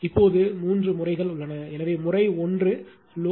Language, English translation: Tamil, Now, there are 2 3 cases 3 cases; so, case 1 load right